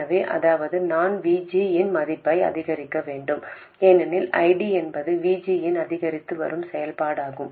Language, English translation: Tamil, So, that means I have to increase the value of VG, because ID is an increasing function of VG